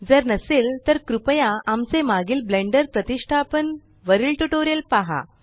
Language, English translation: Marathi, If not please refer to our earlier tutorials on Installing Blender